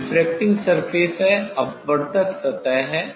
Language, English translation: Hindi, This is the refracting surface; this is the refracting surface